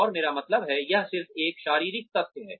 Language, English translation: Hindi, And, I mean, it is just a physiological fact